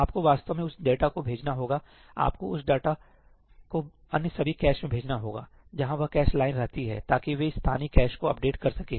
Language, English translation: Hindi, You have to actually send that data, you have to send that data to all the other caches where that cache line resides so that they can update the local caches